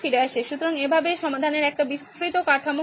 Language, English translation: Bengali, So this is how sort of a broad structure of how solve works